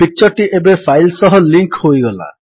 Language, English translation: Odia, The picture is now linked to the file